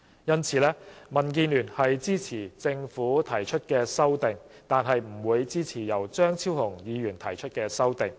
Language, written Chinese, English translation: Cantonese, 因此，民主建港協進聯盟支持政府提出的《條例草案》，但不會支持由張超雄議員提出的修正案。, Hence the Democratic Alliance for the Betterment and Progress of Hong Kong supports the Governments Bill but not Dr Fernando CHEUNGs amendments